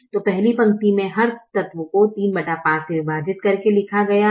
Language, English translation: Hindi, so the first row is written by dividing every element by three by five